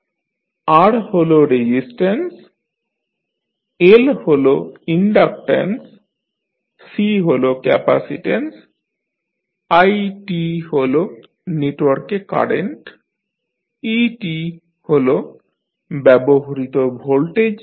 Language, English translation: Bengali, R is the resistance, L is the inductance, C is capacitance, t is the current in the network, et is the applied voltage